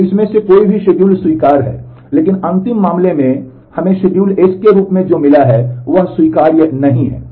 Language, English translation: Hindi, So, either of these schedules are acceptable, but what we got as a schedule S in the last case are not acceptable